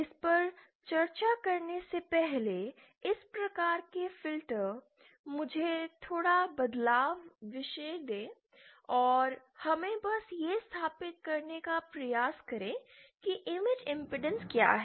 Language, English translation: Hindi, Before discussing this, this type of filter let me a slight diversion and let us just try to establish what is this concept of image impedance